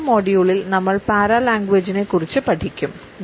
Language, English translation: Malayalam, In my next module, I would take up paralanguage for discussions